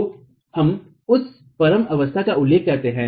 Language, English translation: Hindi, So, we refer to that at the ultimate state